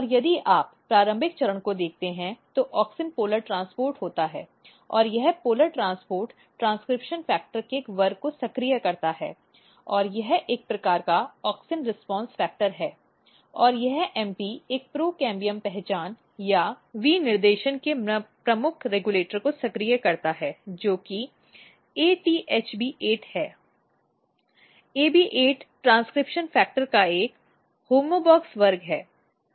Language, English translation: Hindi, And if you look at the early stage what happens is that, auxin is polar transported and this polar transport activates a class of transcription factor this is MP is again a kind of auxin response factor and this MP activates a key regulator of a procambium identity or specification, which is ATHB 8, HB8 is again homeobox class of transcription factor